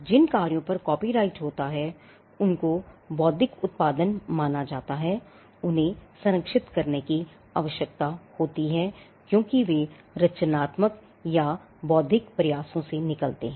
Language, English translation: Hindi, The works on which copyright subsists are regarded as intellectual production which need to be protected because they come out of a creative or intellectual effort